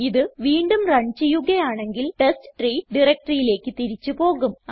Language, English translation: Malayalam, Run it again and it will take us back to the testtree directory